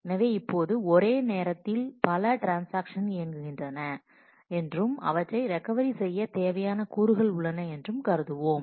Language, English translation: Tamil, So, now, we will assume that there are multiple transactions operating at the same time and the components that are required for the recovery of those